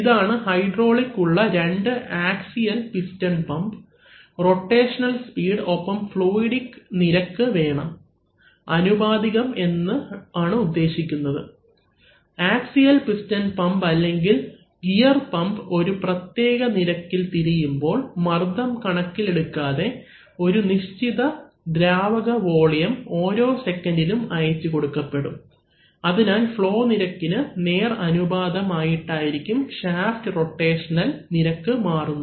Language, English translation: Malayalam, So, this is, you see, these two, these axial piston pumps in hydraulics, we need to have the rotational speed and the fluidic rates are, I mean very proportional in the sense that, every time if an axial piston pump or a gear pump rotates at a, at a certain rate then irrespective of the pressure, a certain volume of fluid will get delivered per second right, so the flow rate is directly proportional to the rotational rate of the shaft